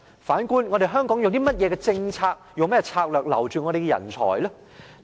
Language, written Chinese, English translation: Cantonese, 反觀，香港有甚麼政策，用甚麼策略來留住我們的人才呢？, Clearly fierce competition is imminent . But looking at ourselves does Hong Kong have any policy or strategy to retain our talents?